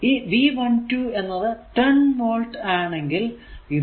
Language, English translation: Malayalam, So, it is 10 volt